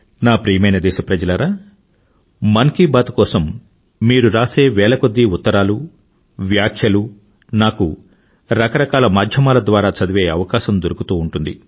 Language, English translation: Telugu, My dear countrymen, for 'Mann Ki Baat', I keep getting thousands of letters and comments from your side, on various platforms